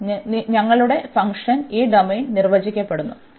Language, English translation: Malayalam, So, our domain of the function so, our function is defined this domain